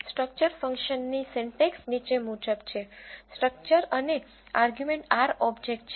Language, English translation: Gujarati, The syntax of this structure function is as follows structure and the argument it takes is an R object